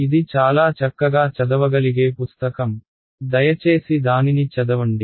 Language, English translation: Telugu, It is a very nice readable book, please have a read through it